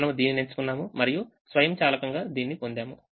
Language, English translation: Telugu, we chose this, we automatically got this